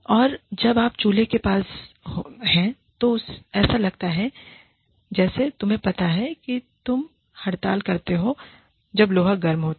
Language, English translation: Hindi, And, when you go to the stove, it is like, you know, you strike, when the iron is hot